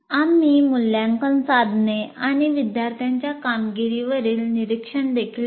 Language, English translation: Marathi, And we will also look at observations on assessment instruments and student performance